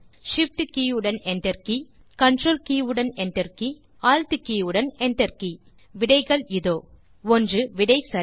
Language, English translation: Tamil, Shift key along with enter key Control key along with enter key Alt key along with enter key And the answers, 1.The answer is True